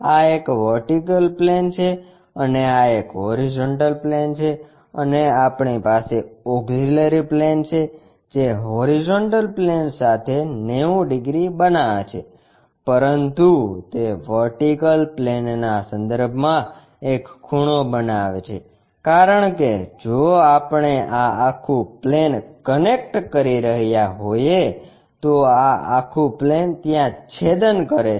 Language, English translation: Gujarati, This is vertical plane and this is a horizontal plane and we have an auxiliary plane which is making 90 degrees with horizontal plane, but it makes a inclination angle with respect to vertical plane because if we are connecting this entire plane is going to intersect there and its making an angle